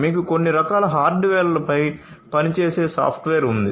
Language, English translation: Telugu, So, you have some kind of software that is working on some kind of hardware